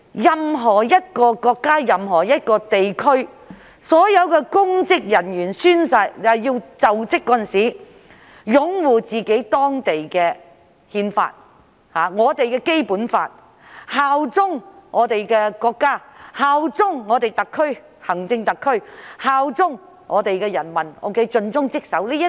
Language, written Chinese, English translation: Cantonese, 任何國家和地區的公職人員在就職時，均須宣誓擁護當地的憲法。正如我們須擁護《基本法》、效忠中國、效忠香港特別行政區、效忠人民，盡忠職守。, Public officers of all countries and regions are required to swear to uphold their respective constitutions when assuming office just as we are required to uphold the Basic Law bear allegiance to China the Hong Kong Special Administrative Region and people and be dedicated to our duties